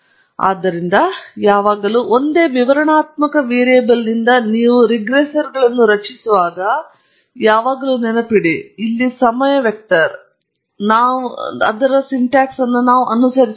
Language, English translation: Kannada, So, always remember, when you are creating regressors out of a single explanatory variable here the time vector then we should follow the syntax